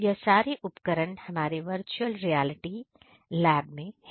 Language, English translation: Hindi, This is these are the equipments we are having inside our virtual reality lab